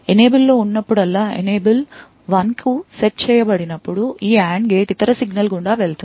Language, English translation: Telugu, So, whenever there is an Enable that is whenever the Enable is set to 1, this AND gate would pass the other signal through